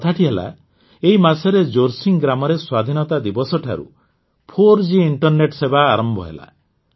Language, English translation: Odia, In fact, in Jorsing village this month, 4G internet services have started from Independence Day